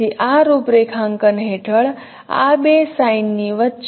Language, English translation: Gujarati, So under this configuration what should be the homography between these two scenes